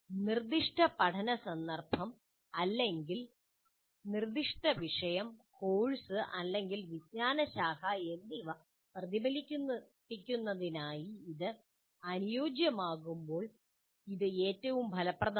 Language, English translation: Malayalam, It is most effective when it is adapted to reflect the specific learning context or specific topic course or discipline